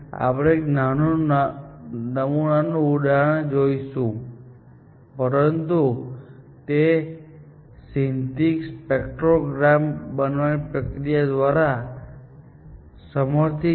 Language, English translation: Gujarati, We will see a small sample example, but this was aided by a process of generating a synthetic spectrogram